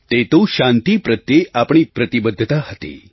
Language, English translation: Gujarati, This in itself was our commitment & dedication towards peace